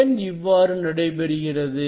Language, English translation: Tamil, why it is happening